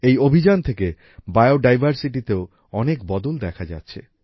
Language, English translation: Bengali, A lot of improvement is also being seen in Biodiversity due to this campaign